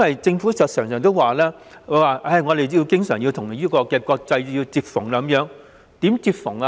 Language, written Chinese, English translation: Cantonese, 政府經常說香港要與國際接縫，怎樣接縫呢？, The Government often says that Hong Kong needs to keep on a par with the international standards how to do that?